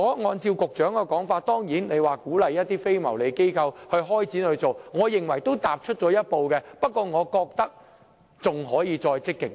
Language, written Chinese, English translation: Cantonese, 按照局長的說法，當局會鼓勵一些非牟利機構開展這方面的工作，我認為這已算是踏出了一步，但我認為當局還可以再積極一點。, According to the Secretary the authorities will encourage some non - profit - making organizations to start the work in this aspect . I think this is a step forward yet the authorities can be more proactive